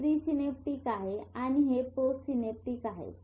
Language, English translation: Marathi, This is pre synaptic, this is post synaptic